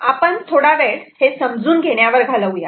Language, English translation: Marathi, we can spend some time understanding